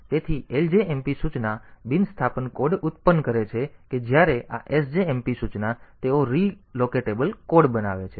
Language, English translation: Gujarati, So, this ljmp instruction, so they produce non re locatable code; whereas, this sjmp instruction they produce re locatable code